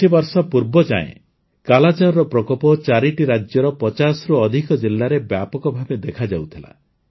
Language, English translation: Odia, Till recently, the scourge of Kalaazar had spread in more than 50 districts across 4 states